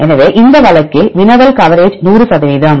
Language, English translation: Tamil, So, in this case query coverage is 100 percent